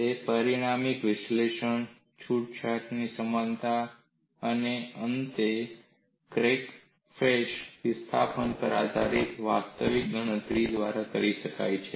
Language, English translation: Gujarati, It can be done through dimensional analysis, relaxation analogy, and finally, actual calculation based on crack face displacements